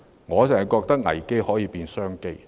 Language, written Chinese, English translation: Cantonese, 我認為危機可以變成商機。, I think we can change the crisis into an opportunity